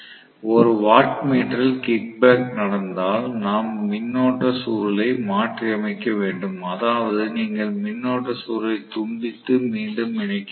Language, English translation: Tamil, If 1 of the wattmeter kickback, then what we will do is to reverse the current coil, that means you have to disconnect and reconnect the current coil that is what we will do normally